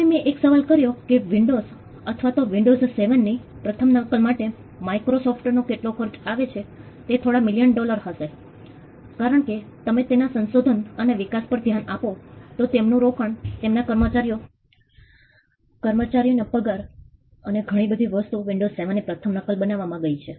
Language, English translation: Gujarati, Now I asked this question how much does it cost Microsoft to come up with a first copy of windows say windows 7, it will be a few million dollars because you look at their R&D their investment their staff salaries a whole lot of things would have gone into creating the first copy of windows 7